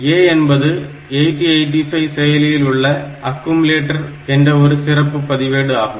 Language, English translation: Tamil, There is a special register called accumulator in 8085